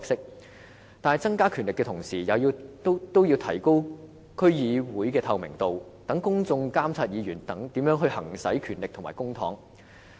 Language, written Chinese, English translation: Cantonese, 可是，在增加權力的同時，也要提高區議會的透明度，讓公眾監察議員如何行使權力和公帑。, While DCs powers are increased their transparency should be increased accordingly in order for the public to monitor how DC members exercise their powers and spend the public funds